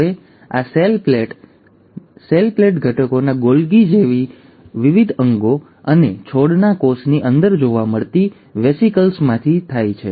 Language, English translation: Gujarati, Now this cell plate, the components of the cell plate comes from various organelles like Golgi and the vesicles found within the plant cell